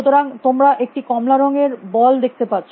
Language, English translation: Bengali, So, you can see an orange colored boll